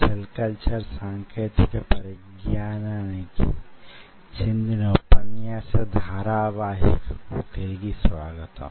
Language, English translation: Telugu, welcome back to the lecture series in ah cell culture technology